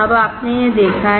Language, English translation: Hindi, Now, you have seen this